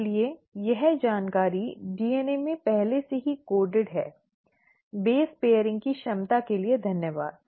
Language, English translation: Hindi, So that information is kind of coded already in the DNA, thanks to the ability of base pairing